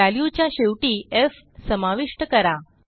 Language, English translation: Marathi, And add an f at the end of the value